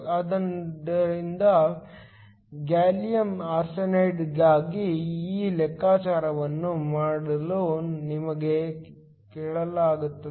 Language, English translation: Kannada, So, we are asked to do this calculation for gallium arsenide